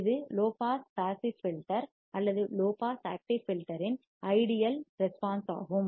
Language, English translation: Tamil, This is an ideal response of the low pass passive filter or low pass active filter